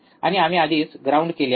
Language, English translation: Marathi, And we already have grounded